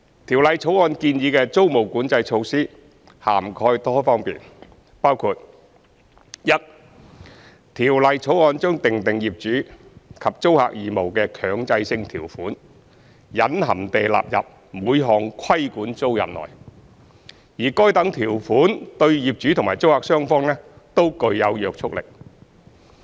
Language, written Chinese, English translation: Cantonese, 《條例草案》建議的租務管制措施涵蓋多方面，包括：一《條例草案》將訂定業主及租客義務的強制性條款隱含地納入每項規管租賃內，而該等條款對業主及租客雙方均具約束力。, The proposed tenancy control measures in the Bill cover a wide range of areas as follows 1 The Bill impliedly incorporates the mandatory terms that provide for the obligations of the landlord and tenant into every regulated tenancy and such terms would bind both the landlord and the tenant